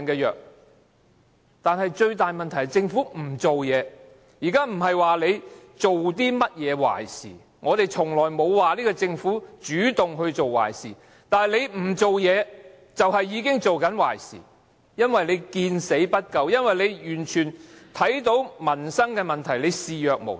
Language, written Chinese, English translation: Cantonese, 現在不是說政府做了甚麼壞事，我們從來沒有說這個政府主動做壞事，但它不做事，已經是在做壞事，因為政府見死不救，對於民生問題視若無睹。, We are not saying that the Government has done something wrongful . We have never accused the Government of doing something wrongful on purpose . But we must say that by doing nothing and turning a blind eye to peoples suffering and livelihood difficulties it is in fact doing something very wrongful